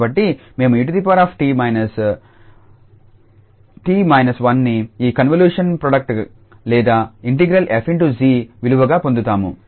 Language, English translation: Telugu, So, we will get e power t minus t and then minus 1 as the value this convolution product or this integral f star g